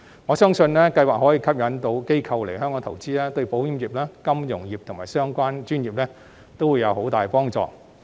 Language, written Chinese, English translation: Cantonese, 我相信，此計劃可以吸引到機構來香港投資，對保險業、金融業及相關專業都會有很大幫助。, I believe the pilot scheme can attract organizations to come and invest in Hong Kong which will be of very great help to the insurance industry financial industry and related professions